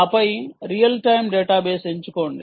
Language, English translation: Telugu, basically, this is a real time database